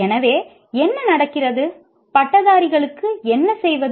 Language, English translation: Tamil, So what happens, what do the graduates do